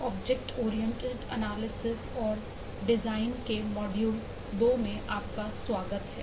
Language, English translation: Hindi, welcome to module 2 of object oriented analysis and design course